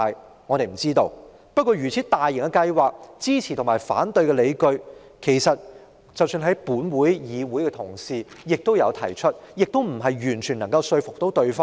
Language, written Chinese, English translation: Cantonese, 不過，對於一項如此大型的計劃，支持和反對的理據也有，即使同事在本會提出，亦未能完全說服另一方。, But this is such a large - scale programme where there are justifications both supporting and opposing it . Even if the justifications are presented in this Council Honourable colleagues may not be able to convince the other side